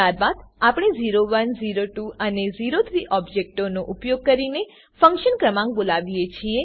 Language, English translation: Gujarati, Then we call the function number using the objects o1, o2 and o3